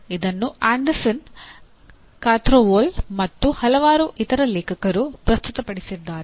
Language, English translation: Kannada, It is presented by Anderson, Krathwohl and several other authors